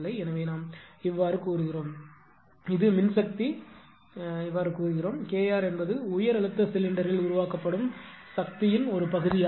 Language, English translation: Tamil, So, we represent that is for the power representation we make it that K r is reheat coefficient that is the fraction of the power generated in the high process cylinder